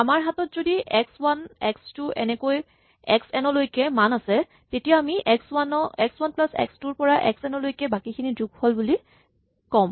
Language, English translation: Assamese, If I have a list called x 1, x 2 up to x n, then I am saying that this is x 1 plus the sum of x 2 up to x n